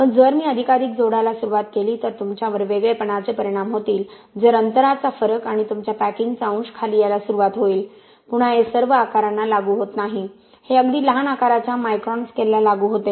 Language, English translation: Marathi, But if I start adding more and more you have separation effects if spacing difference and stuff your packing fraction will start to come down, again this is not applicable to all sizes, this applicable to really small sizes, really small sizes of microns scale that we are talking about